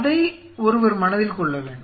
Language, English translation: Tamil, That is something one has to keep in mind